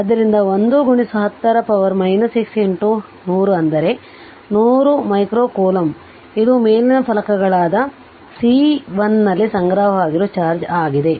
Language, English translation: Kannada, So, one into 10 to the power minus 6 into 100 that is 100 micro coulomb that that is the charge stored on the top plates C 1 right